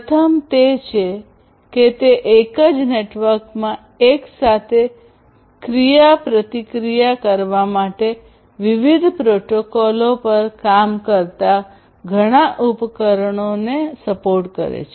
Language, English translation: Gujarati, The first one is that it supports multiple devices working on different protocols to interact in a single network simultaneously